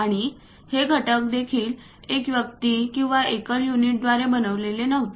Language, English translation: Marathi, And these components were also not made by one single person or one single unit